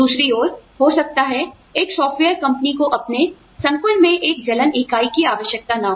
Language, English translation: Hindi, On the other hand, maybe, a software company is not required to have a, burns unit in its complex